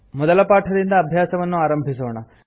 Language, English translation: Kannada, Let us start by learning the first lesson